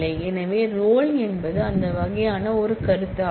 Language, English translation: Tamil, So, role is of that kind of a concept